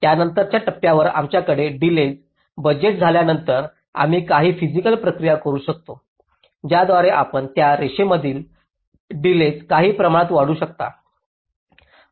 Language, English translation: Marathi, so once we have the delay budgeting, at a subsequent step we can do some physical process by which you can actually increase the delays in those lines by some means